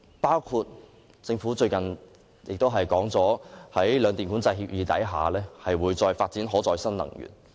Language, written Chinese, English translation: Cantonese, 例如政府最近公布，在兩電《管制計劃協議》下，會發展可再生能源。, For example the Government has recently announced that renewable energy will be developed under the Scheme of Control Agreements of the two power companies